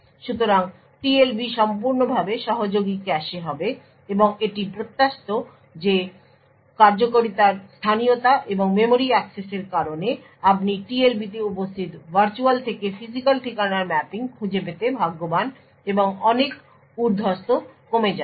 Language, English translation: Bengali, So, the TLB would be fully associative cache and it is expected that due the locality of the execution and memory accesses you are quite lucky to find the mapping of virtual to physical address present in the TLB and a lot of overheads will be reduced